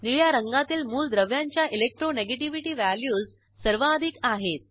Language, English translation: Marathi, Elements with blue color have highest Electronegativity values